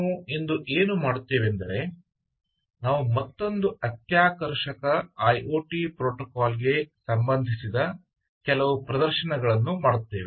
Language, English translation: Kannada, so what we will do today is we will do some demonstrations related to another very exciting iot protocol, and this broadly forms